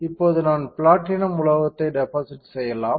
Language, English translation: Tamil, I have to deposit a metal, now which metal I can deposit platinum